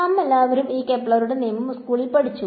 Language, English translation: Malayalam, So, we all studied these Kepler’s law in school right